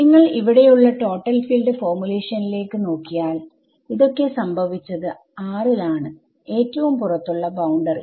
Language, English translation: Malayalam, If you look back here this total field formulation all of this is happened this all of this happened on gamma itself outermost boundary right